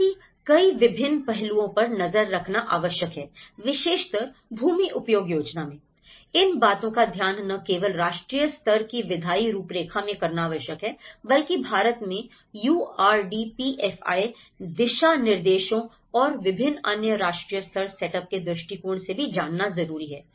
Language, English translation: Hindi, So, like that there are various aspects one has to look at and in this particular land use planning, this not only has to do the national level legislatory framework as because in India we talk about the URDPFI guidelines and various other national level setup